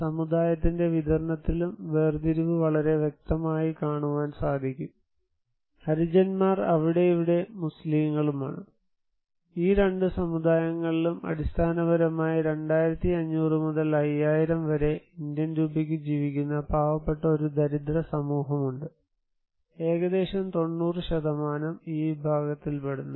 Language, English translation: Malayalam, And distribution of community also, you can see that there is a segregations that Harijans are there and here are the Muslims populations, these two communities and there is a poor community basically around Indian rupees 2500 to 5000, this shared the entire pie almost 90%